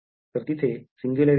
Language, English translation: Marathi, So, this is singularity there